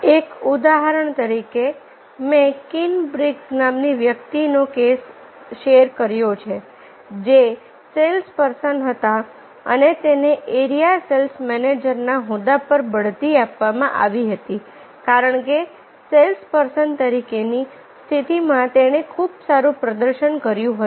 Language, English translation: Gujarati, say, for example, i said the case of a person, kinbrigs, who was a sales person and he was promoted to the position of a area sales manager because in the position of sales person he performed very well and he is a